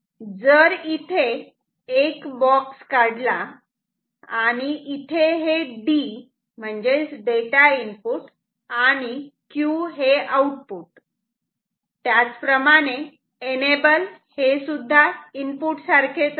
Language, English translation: Marathi, So, if I draw a box with D; D means data input, Q output, enable this is also a input like this